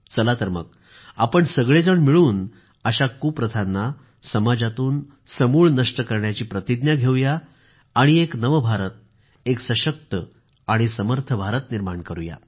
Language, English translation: Marathi, Come, let us pledge to come together to wipe out these evil customs from our social fabric… let us build an empowered, capable New India